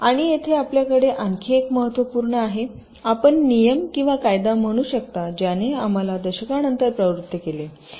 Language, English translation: Marathi, and here we have another very important, you can say, empirical rule or law that has driven us over decades